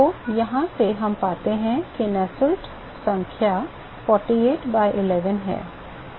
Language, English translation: Hindi, So, from here we find that Nusselt number is 48 by 11